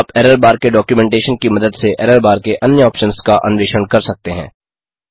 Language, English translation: Hindi, you can explore other options to errorbar using the documentation of errorbar